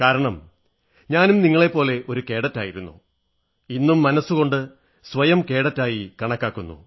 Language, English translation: Malayalam, More so, since I too have been a cadet once; I consider myself to be a cadet even, today